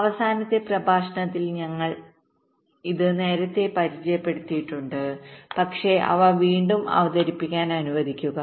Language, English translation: Malayalam, we introduce this earlier in the last lecture, but let me reintroduce them again